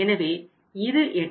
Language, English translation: Tamil, 6 % which is 8